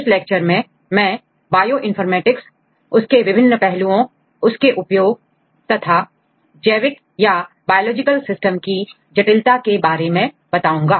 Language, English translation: Hindi, In this lecture I will provide an overview on Bioinformatics, different aspects of Bioinformatics and the applications of Bioinformatics and different complexities of biological systems